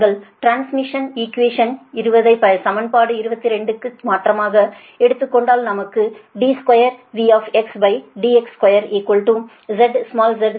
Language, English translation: Tamil, if you take the differentiate equation twenty right and substituting from equation twenty two, we get d square, v x upon d x square is equal to z, small z into d i x upon d x, and this d i x upon d x, right